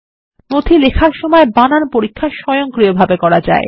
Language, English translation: Bengali, The spell check can be done automatically while writing the document